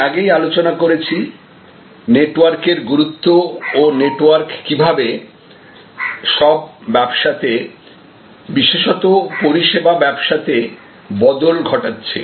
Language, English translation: Bengali, I had already discussed previously the importance of networks and how the networks are changing all businesses and more so in case of service businesses